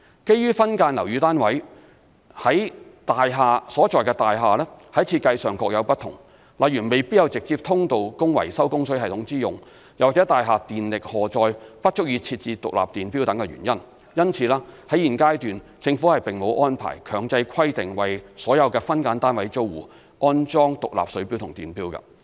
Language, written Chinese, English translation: Cantonese, 基於分間樓宇單位所在大廈在設計上各有不同，例如未必有直接通道供維修供水系統之用，又或大廈電力荷載不足以設置獨立電錶等原因，因此，在現階段政府並沒有安排強制規定為所有分間樓宇單位租戶安裝獨立水錶及電錶。, Since the buildings in which subdivided units are situated were designed differently for instance an individual access for water supply system maintenance is unavailable; or the electricty loading in the building is insufficient for installing separate electricity meters the Government has not imposed a mandatory requirement that tenants of subdivided units must install separate water and electricity meters at this stage